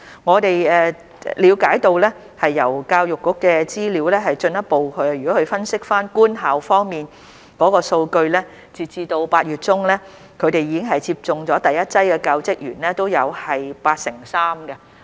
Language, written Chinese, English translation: Cantonese, 我們了解到，根據教育局的資料，如果分析官校方面的數據，截至8月中，已經接種第一劑的教職員也有八成三。, We understand that according to the statistics of the Education Bureau if we look at the analysis of statistics in government schools we will see that as at mid - August 83 % of school staff have received the first dose of vaccine